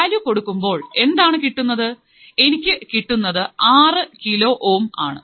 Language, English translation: Malayalam, So, if we substitute the values what will I have, 6 kilo ohm, I have value of 6 kilo ohm